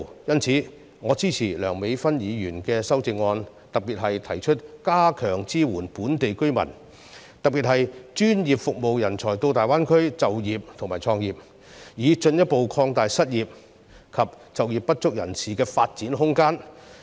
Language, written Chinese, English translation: Cantonese, 因此，我支持梁美芬議員的修正案，特別是提出加強支援本地居民，以及專業服務人才到大灣區就業和創業，以進一步擴大失業及就業不足人士的發展空間。, Hence I support Dr Priscilla LEUNGs amendment particularly the proposal to strengthen support for local residents and professional service personnel in employment and entrepreneurship in the Greater Bay Area with a view to further expanding the room for development of the unemployed and underemployed